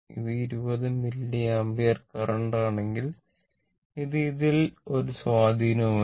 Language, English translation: Malayalam, If this is short circuit this 20 milliampere current, it has no effect on this one